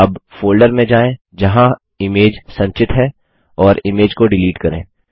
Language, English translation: Hindi, Now, go the folder where the image is stored and delete the image